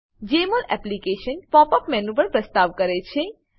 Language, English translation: Gujarati, Jmol Application also offers a Pop up menu